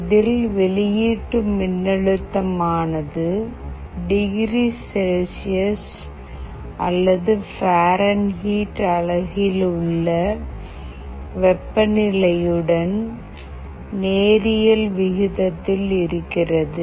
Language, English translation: Tamil, It means that the output voltage is linearly proportional to the temperature in degree Celsius